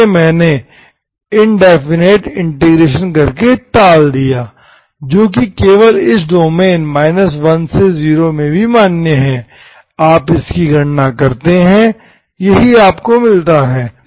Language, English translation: Hindi, Which I avoided by doing indefinite integration, okay, which is also valid only in this domain, you calculate it, this is what you get